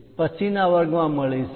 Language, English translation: Gujarati, See you in the next class